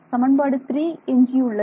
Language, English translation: Tamil, So, equation 1 it becomes